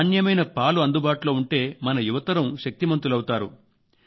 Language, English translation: Telugu, And if we get good milk, then the young people of our country will be powerful